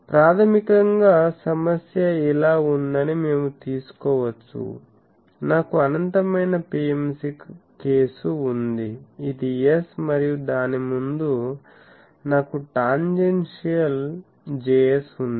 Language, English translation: Telugu, So, we can take that basically the problem is like this, I have an infinite PMC case this is S and in front of that I have a Js, tangential Js